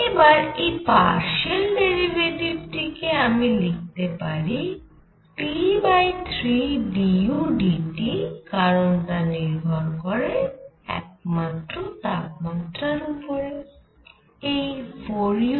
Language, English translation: Bengali, In fact, this partial derivative I can even write as T by 3 d u by d T because it depends only on the temperature this 4 u by 3